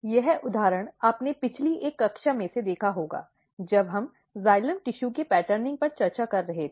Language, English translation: Hindi, This example you would have already seen in one of the previous class, when we were discussing the, the patterning of xylem tissue